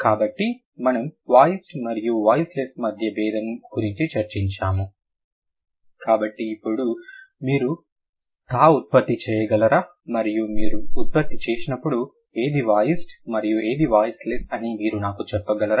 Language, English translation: Telugu, So, can you, now since we have discussed about the voiced and voiceless distinction, when you produce thur and when you produce the, can you tell me which one is voiced and which one is voiceless